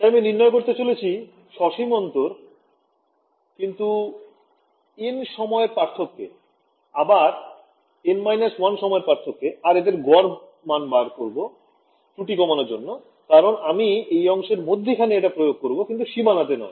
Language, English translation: Bengali, So, I am going to find out the finite difference not at the time instance n, but also n minus 1 and take the average to reduce this error because I am I am imposing it in the middle of the cell not at the boundary